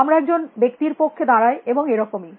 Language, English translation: Bengali, We stand for a person and so on and so forth